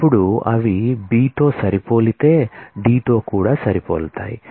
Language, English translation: Telugu, Now, they match on b they match on D